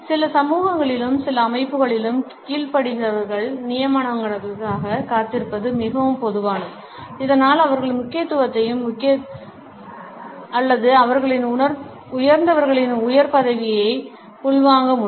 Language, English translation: Tamil, It is very common in certain societies as well as in certain organizations to make the subordinates wait for the appointments so that they can internalize the significance and importance or the higher rank of their superior